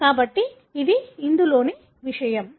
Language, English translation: Telugu, So, this is what it is